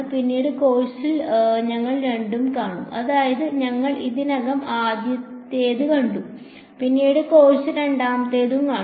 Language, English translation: Malayalam, Later on in the course we will come across both I mean we have already seen the first one and we will later on the course come across the second one also